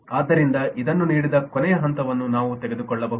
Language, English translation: Kannada, so, given this, we can take the last step